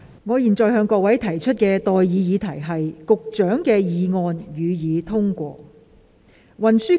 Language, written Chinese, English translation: Cantonese, 我現在向各位提出的待議議題是：保安局局長動議的議案，予以通過。, I now propose the question to you and that is That the motion moved by the Secretary for Security be passed